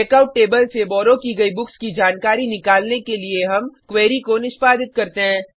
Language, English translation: Hindi, We execute the query to fetch borrowed books details from the Checkout table